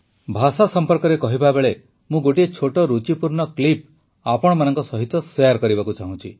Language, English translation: Odia, Speaking of language, I want to share a small, interesting clip with you